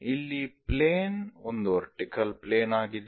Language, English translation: Kannada, So, this is what we call vertical plane